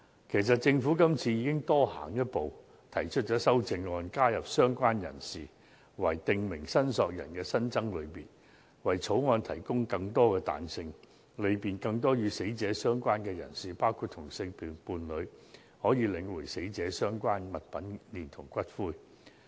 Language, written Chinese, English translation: Cantonese, 其實，政府今次已經多行一步，提出修正案，加入"相關人士"為"訂明申索人"的新增類別，為《條例草案》提供更多彈性，利便更多與死者相關的人士，包括同性伴侶，領回死者相關物品連同骨灰。, As a matter of fact the Government has taken a step further and proposed an amendment to include a related person as a prescribed claimant to provide greater flexibility to the Bill so as to facilitate the collection of the deceaseds articles and ashes by people associated with the deceased including same - sex partners